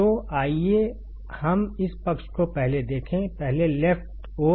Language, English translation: Hindi, So, let us just see this side first; , left side first